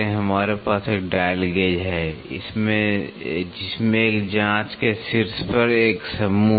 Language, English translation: Hindi, We have a dial gauge with a set on top of a probe